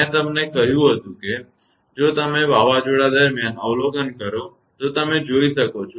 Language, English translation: Gujarati, I told you, if you observe during thunderstorm you can see